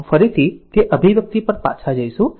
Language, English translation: Gujarati, So, will will go back to that expression again